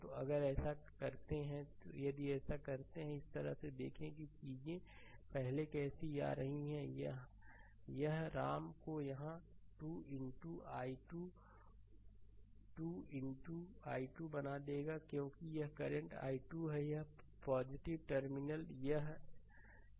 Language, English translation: Hindi, So, if you do so, if you do so, this way then look how things are coming first it will be your I am making it here say 2 into i 2, 2 into i 2 because this is the current i 2 here plus terminal here this is plus